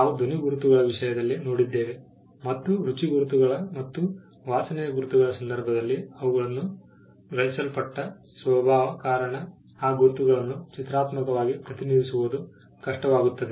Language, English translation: Kannada, We had seen in the case of sound marks, and in the case of taste marks and smell marks, because of the nature in which they are perceived, it becomes hard to graphically represent these marks